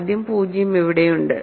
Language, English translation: Malayalam, So, let us first of all 0 is there